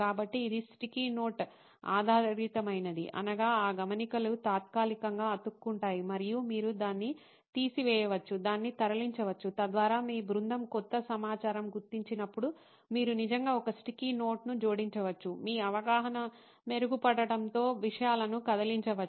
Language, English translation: Telugu, So, it is sticky note based, meaning those notes that stick temporarily and you can remove, move it around so that as in when new information your team figures out, you can actually add a sticky note, move things around as your understanding becomes better